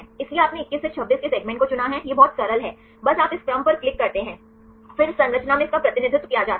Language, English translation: Hindi, So, you have selected the segment 21 to 26 right it is very simple just you click on this sequence, then that is represented in the structure